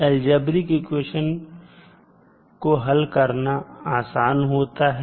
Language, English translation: Hindi, The algebraic equations are more easier to solve